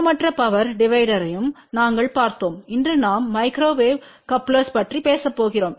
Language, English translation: Tamil, And we had also seen an equal power divider today we are going to talk about Microwave Couplers